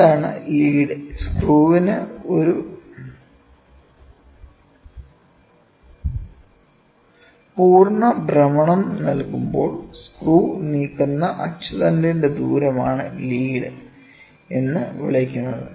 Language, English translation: Malayalam, What is lead, it is the axial distance moved by the screw when the screw is given one complete rotation about it is axis is called as the lead